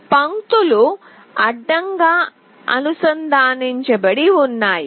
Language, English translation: Telugu, These lines are horizontally connected